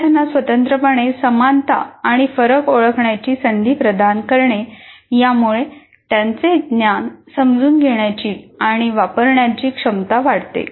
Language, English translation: Marathi, Providing opportunities to students independently identifying similarities and differences enhances their ability to understand and use knowledge